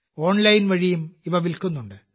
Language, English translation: Malayalam, They are also being sold online